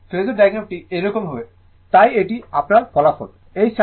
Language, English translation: Bengali, So, phasor diagram will be like this right, so this is your resultant